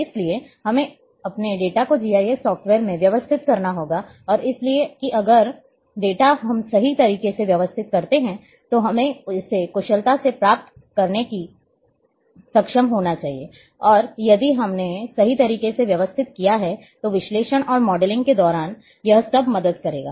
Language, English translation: Hindi, So, we have to take care about that very carefully we have to organize our data into the GIS software and that because if data we organize correctly we should be able to retrieve it efficiently and during analysis and modelling this all will help if we have organized correctly